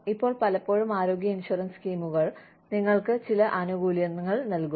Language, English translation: Malayalam, Now, a lot of times, health insurance schemes, give you some benefits